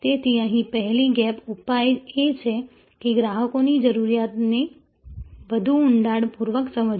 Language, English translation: Gujarati, So, here the first gap, the remedy is understanding the customers need in greater depth